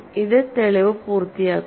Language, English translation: Malayalam, So, this completes the proof